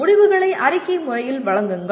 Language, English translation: Tamil, Present the results in a professional manner